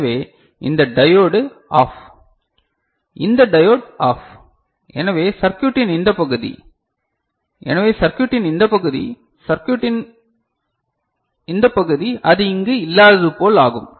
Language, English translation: Tamil, So, then this diode is OFF; this diode is OFF so this part of the circuit, so this part of the circuit; this part of the circuit as if it is not there ok